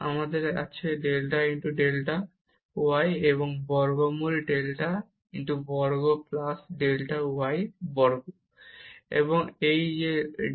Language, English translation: Bengali, So, we will get now this delta x delta y and this delta rho was also the square root delta x square plus delta y square and we have one square root here